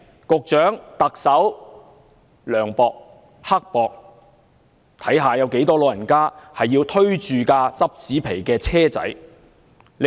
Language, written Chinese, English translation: Cantonese, 局長和特首涼薄、刻薄，看看有多少長者要推着拾紙皮的手推車？, The Secretary and the Chief Executive are so mean and unsympathetic would they take a look at how many elderly people are pushing a cart to pick up cardboards?